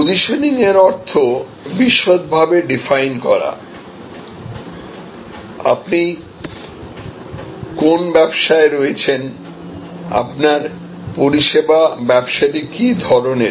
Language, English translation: Bengali, Simply put positioning means, defining in detail, what business you are in, what is your service business all about